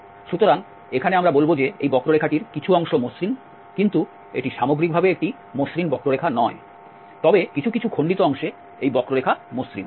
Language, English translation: Bengali, So, here we will call that this curve is piecewise is smooth, this is not a smooth curve as a whole, but in pieces, this curve is smooth